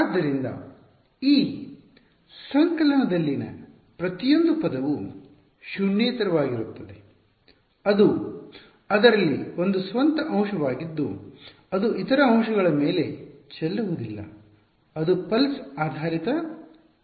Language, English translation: Kannada, So, every term in this summation is non zero only in it is a own element it does not spill over into the other element right it is like pulse basis function